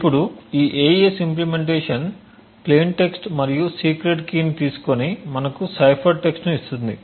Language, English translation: Telugu, Now this AES implementation takes a plain text and the secret key and gives you a cipher text